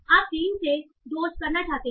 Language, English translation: Hindi, So you want to take from 3 to say 2